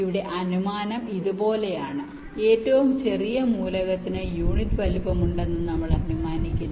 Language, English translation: Malayalam, here the assumption is like this: we assume that the smallest element has unit size